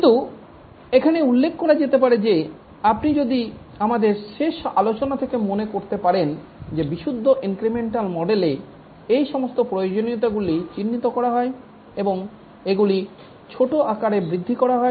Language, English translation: Bengali, But let me mention here that in the purely incremental model as you might have remember from our last discussion that all those requirements are identified and these are planned into small increments